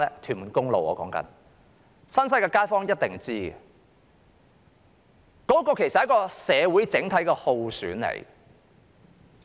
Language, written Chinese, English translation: Cantonese, 新界西的街坊一定知道，這其實是社會的整體耗損。, Residents of the New Territories West certainly know that this is an overall drain on society